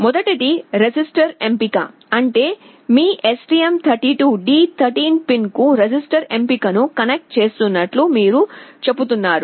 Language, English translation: Telugu, First one is the register select; that means, you are telling you are connecting register select to your STM32 D13 pin